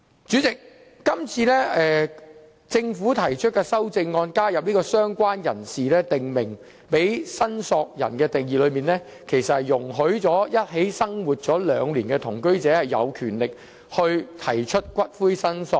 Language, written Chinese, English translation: Cantonese, 主席，今次政府提出修正案，加入"相關人士"為"訂明申索人"的類別，定義容許已一起生活兩年的同居者有權提出申索骨灰。, Chairman the amendment proposed by the Government this time around adds related person as an additional category of prescribed claimant which defines that a person who had been living with the deceased in the same household for two years has the right to claim the ashes of the deceased